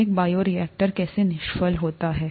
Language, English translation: Hindi, How is a bioreactor sterilized